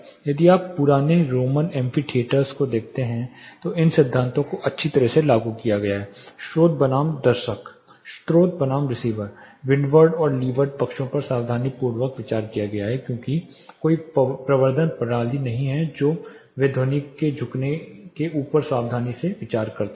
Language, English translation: Hindi, If you look at the old roman amphitheaters these principles where nicely applied the source versus the audience, the source versus the receivers, the windward and leeward sides were carefully considered when they were because there were no amplification systems they considered carefully above the bending of sound across the wind